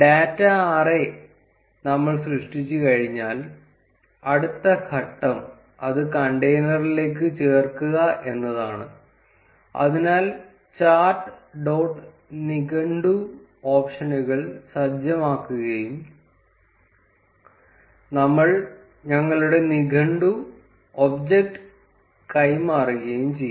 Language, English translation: Malayalam, Once we have the data array created, next step is to add to the container, so chart dot set dictionary options and we pass our dictionary object